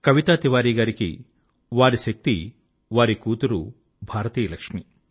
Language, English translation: Telugu, For Kavita Tiwari, her daughter is the Lakshmi of India, her strength